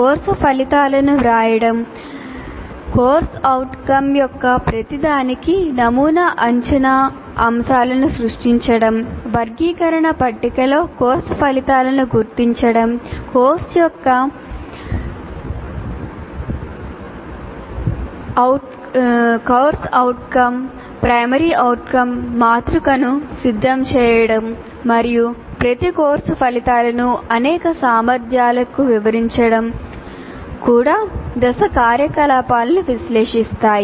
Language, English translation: Telugu, Writing course outcomes, creating sample assessment items for each one of the C O's or the course outcomes, locating course outcomes in the taxonomy table, preparing the C O PSO matrix of the course, and elaborating each course outcome into several competencies, it could be total number of competencies could be 15 plus or minus 5